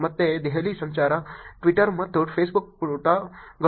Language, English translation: Kannada, Again Delhi traffic, Twitter and Facebook pages